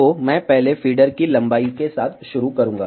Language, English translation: Hindi, So, I will start first with the feeder length